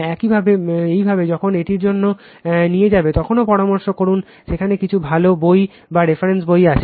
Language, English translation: Bengali, When you will go through this also consult there is some good books or reference books are given right